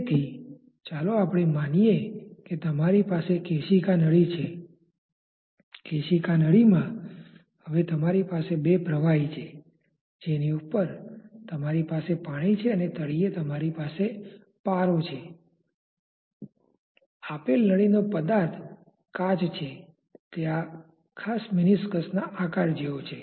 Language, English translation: Gujarati, in the capillary tube now you have say two liquids on the top you have say water and in the bottom say you have mercury; with a given tube materials say it is glass it assumes this particular meniscus shape